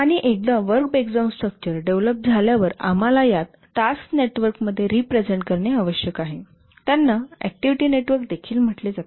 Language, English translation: Marathi, And once the work breakdown structure has been developed, we need to represent these in a task network, which are also called as activity network